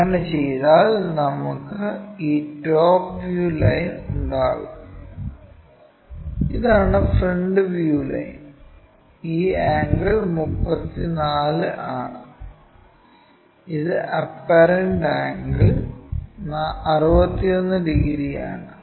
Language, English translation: Malayalam, If, we do that we will have this top view line, this is the front view line, this angle is 34, and this one the apparent angle is around 61 degrees